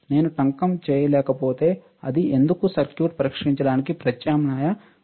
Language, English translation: Telugu, If I cannot solder it why is there an alternative arrangement to test the circuit